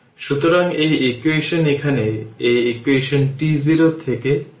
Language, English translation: Bengali, So, this equation is here, this is this equation right t 0 to n